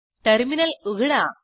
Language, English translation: Marathi, Open the terminal